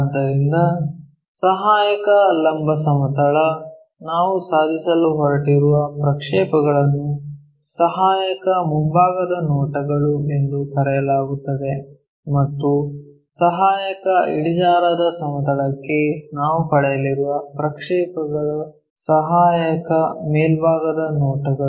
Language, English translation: Kannada, So, a auxiliary vertical plane, the projections what we are going to achieve are called auxiliary front views and for a auxiliary inclined plane the projections what we are going to get is auxiliary top views